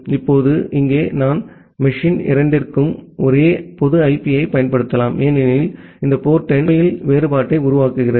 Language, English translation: Tamil, Now, here I can use the same public IP for both the machine because this port number is actually making the differentiation